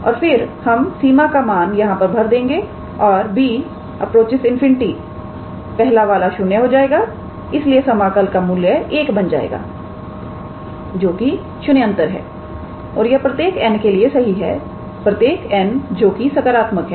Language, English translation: Hindi, And then we substitute the limit and when B goes to infinity the first one will go to 0 therefore, the value of the integral would be 1 which is non zero and this is true for all n so, true for all n positive